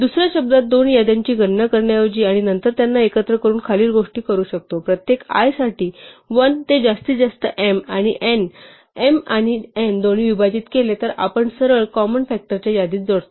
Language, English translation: Marathi, In another words instead of computing two lists and then combining them we can just directly do the following: for each i from 1 to the maximum of m and n, if i divides both m and n then we directly add i to the list of common factors